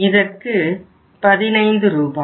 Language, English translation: Tamil, In this case it is 15 Rs